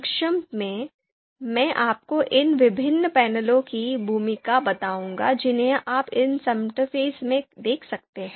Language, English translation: Hindi, Briefly, I I will tell you the role of these you know different panels that you can see in this interface